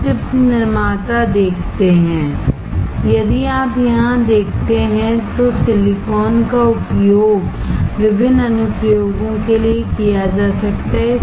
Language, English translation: Hindi, We see the chip manufacturer, if you see here, the silicon can be used for various applications